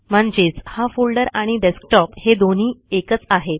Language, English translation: Marathi, So this folder and the Desktop are the same